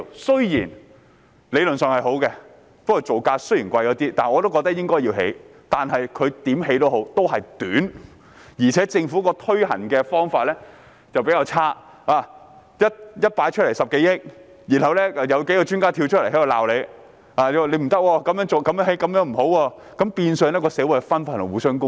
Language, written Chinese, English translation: Cantonese, 雖然理論上是好的，即使造價稍為昂貴，我仍認為應該要興建，但無論如何，天橋的設計也是短，而政府推行的方法也比較差，一提出來便說需要10多億元，然後數位專家出來指責政府，說這樣興建不好，令社會分化和互相攻擊。, Anyway it is good in theory and I still think it should be built even though the cost is a little bit expensive . In any case the design of the flyover is too short and its implementation by the Government is relatively poor . As soon as it was proposed they said it would cost more than 1 billion